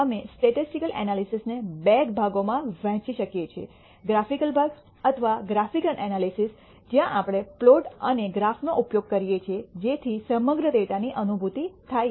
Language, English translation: Gujarati, We can divide the statistical analysis into two parts, the graphical part or graphical analysis where we use plots and graphs in order to have a visual feel of the entire data